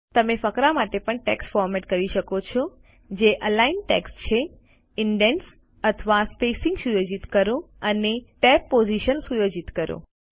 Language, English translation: Gujarati, You can also format text for Paragraph, that is align text, set indents or spacing and set tab positions